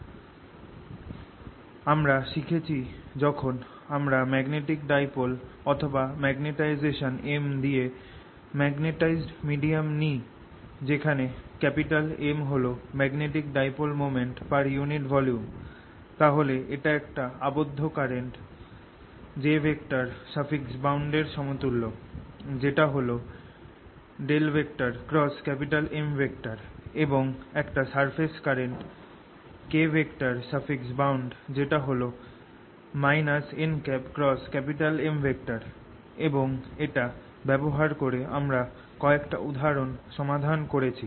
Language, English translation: Bengali, third, we learnt: when i take a magnetic dipole or a magnetized medium with magnetization m, where m is the magnetic dipole moment per unit volume, then this is equivalent to a bound current, j b, which is curl of m, and a surface current, k bound, which is minus n cross m